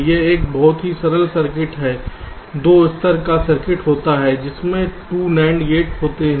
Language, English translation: Hindi, this is a very simple circuit, a two level circuit consisting of two nand gates